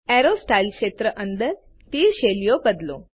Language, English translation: Gujarati, Under the Arrow Styles field, change the arrow styles